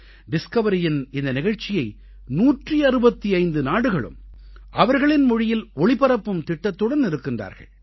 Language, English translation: Tamil, The Discovery Channel plans to broadcast this programme in 165 countries in their respective languages